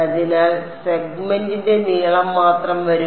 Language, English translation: Malayalam, So, just the length of the segment will come